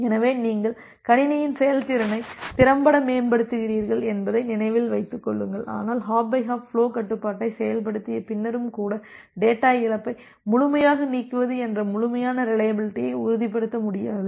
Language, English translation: Tamil, So, by doing that you are effectively improving the performance of the system, but remember that by even after implementing the hop by hop flow control, it may not be possible to possible to ensure complete reliability that a complete elimination of data loss